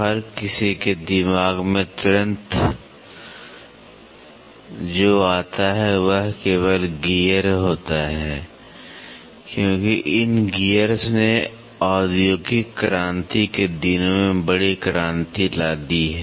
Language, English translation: Hindi, Immediately what come to everybody’s mind is only gear, because these gears have brought in big revolution in the industrial revolution days